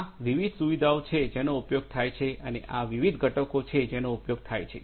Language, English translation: Gujarati, These are the different facilities that are used and that are the, these are the different components that are used